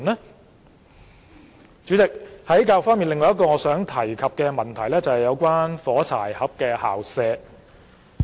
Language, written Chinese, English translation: Cantonese, 代理主席，在教育方面，另一個我想提及的問題是"火柴盒式校舍"。, Deputy Chairman another issue regarding education that I wish to raise concerns matchbox - style school premises